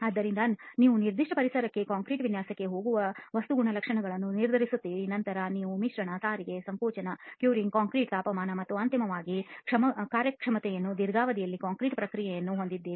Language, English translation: Kannada, So you are deciding up on the material characteristics that go into designing concrete for a particular environment, then you have the process which includes mixing, transportation, compaction, curing, temperature of the concrete and ultimately the workmanship which actually is resulting in the performance of the concrete in the long term